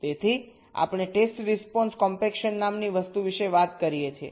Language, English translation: Gujarati, so we talk about something called test response compaction